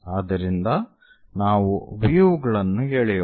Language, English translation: Kannada, So, let us draw the views